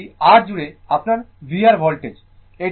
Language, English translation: Bengali, And this is your v R voltage across R